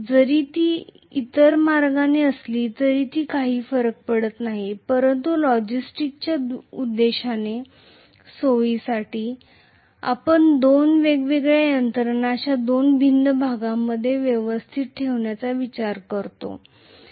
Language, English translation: Marathi, It does not matter even if it is the other way around, it would work but for convenience for logistics purpose generally we tend to arrange the two different systems in two different portions like this